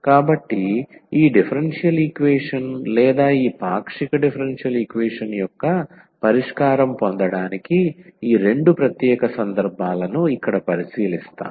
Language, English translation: Telugu, So, these two special cases we will consider here to get the solution of this differential equation or this partial differential equation here